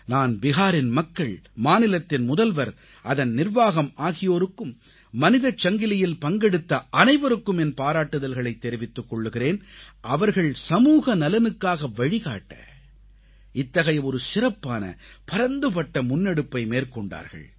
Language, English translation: Tamil, I appreciate the people of Bihar, the Chief Minister, the administration, in fact every member of the human chain for this massive, special initiative towards social welfare